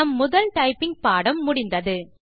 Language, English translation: Tamil, We have completed our first typing lesson